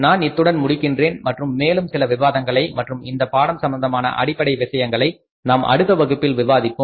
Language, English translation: Tamil, I will stop here in this class and remaining some of the further discussion and fundamentals of this subject we will discuss in the next class